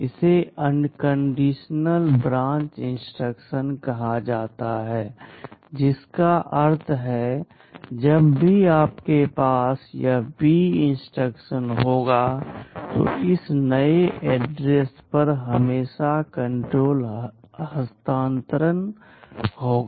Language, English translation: Hindi, This is called unconditional branch instruction meaning that whenever you have this B instruction, there will always be a control transfer to this new address